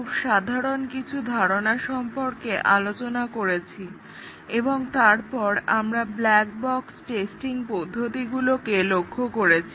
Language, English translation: Bengali, So far, we had looked at some very basic concepts of testing and then, later we looked at black box testing techniques, how to design black box test cases and different types of black box testing